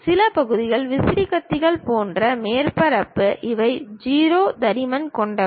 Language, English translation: Tamil, Some of the parts are surface like fan blades these are having 0 thickness